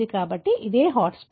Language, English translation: Telugu, So, that is the hotspot